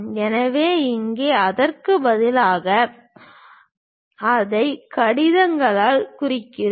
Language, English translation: Tamil, So, here instead of that, we are denoting it by letters